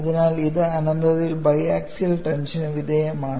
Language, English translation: Malayalam, So, it is subjected to bi axial tension at infinity,